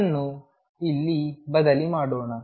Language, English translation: Kannada, Let us substitute this here